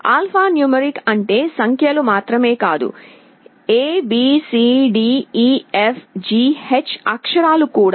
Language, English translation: Telugu, Alphanumeric means not only the numbers, but also alphabetic characters abcdefgh everything